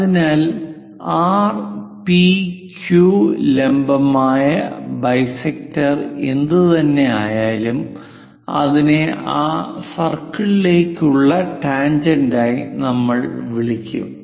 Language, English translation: Malayalam, So, R, P, Q whatever the perpendicular bisector, that we will call as tangent to that circle